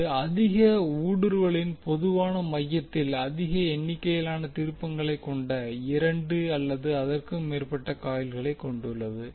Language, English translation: Tamil, So it consists of two or more coils with a large number of turns wound on a common core of high permeability